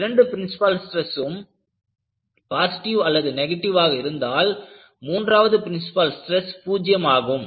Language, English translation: Tamil, Suppose, I have both the principal stresses are positive, when both the principal stresses are positive or negative, you have the third principal stress as 0